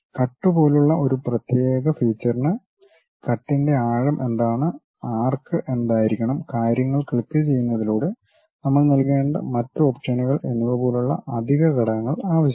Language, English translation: Malayalam, A specialized feature like cut requires additional components like what is the depth of cut, what should be the arc and other options we may have to provide by clicking the things